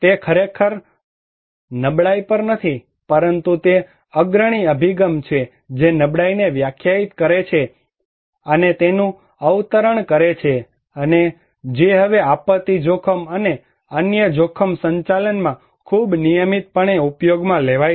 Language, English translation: Gujarati, It is not really on vulnerability, but they are one of the pioneering approach that define and quoted the vulnerability and which was now very regularly used in disaster risk and other risk management